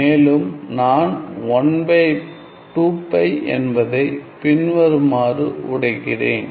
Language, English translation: Tamil, And I have broken down this 1 by 2 pi as follows